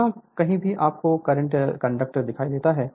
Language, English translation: Hindi, Wherever you see the current this conductor are there